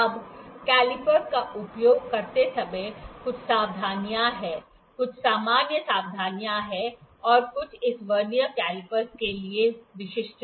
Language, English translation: Hindi, Now, there are certain precautions when we use the caliper; some general precautions and some specific to this Vernier caliper